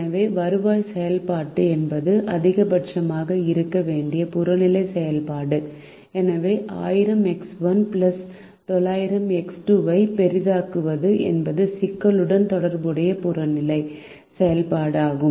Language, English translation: Tamil, so the revenue function is the objective function which is to be maximized, and therefore maximize thousand x one plus nine hundred x two is the objective function associated with the problem